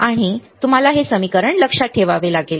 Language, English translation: Marathi, And you have to remember this equation